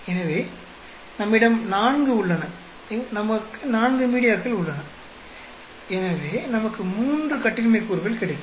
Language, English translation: Tamil, So, we have four, we have four media, so we will get 3 degrees of freedom